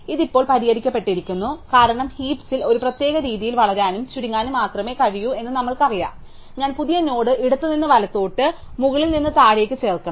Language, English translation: Malayalam, So, this is now fixed because we know that heaps can only grow and shrink in a particular way, so I must add the new node left to right, top to bottom